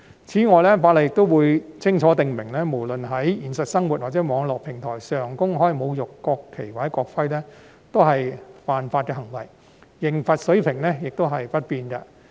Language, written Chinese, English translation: Cantonese, 此外，《條例草案》亦會清楚訂明，無論是在現實生活或網絡平台上公開侮辱國旗或國徽，均屬違法行為，刑罰水平亦不變。, Furthermore the Bill will also stipulate clearly that public desecrating acts in relation to the national flag and national emblem committed in both real life and on online platform would be an offence and the level of penalty would remain unchanged